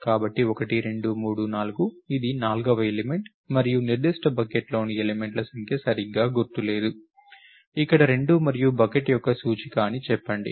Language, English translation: Telugu, Therefore, 1, 2, 3, 4 it is the fourth element and the number of elements in that particular bucket do not remember exactly the order, let us say 2 here and index of the bucket